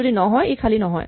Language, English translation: Assamese, If it is not none, it is not empty